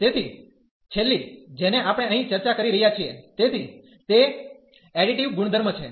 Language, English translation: Gujarati, So, the last one which we are discussing here, so that is the additive property